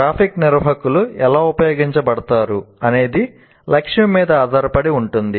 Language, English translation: Telugu, So how graphic organizers are used depends on the objective